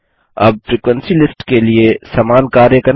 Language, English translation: Hindi, Now for the frequency list do the same thing